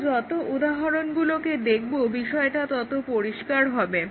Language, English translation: Bengali, As we look at examples, it should become clear